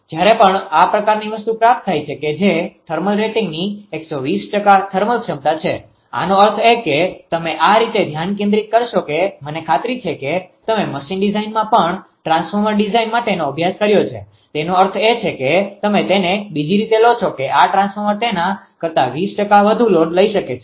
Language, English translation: Gujarati, All 3 transformers have a thermal capability of 120 percent of the nameplate rating capacitor, that is that whenever the gain this kind of thing that 120 percent of the thermal rating thermal capability; that means, you will concentrate this way that I I am sure that you have studied in machine design also for transformer design the meaning is you take it other way this transformer can take overload of 20 percent more than that right